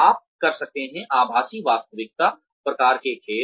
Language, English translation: Hindi, You could have, virtual reality type games